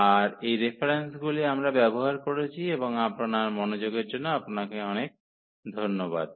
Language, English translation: Bengali, So, these are the references we have used and thank you for your attention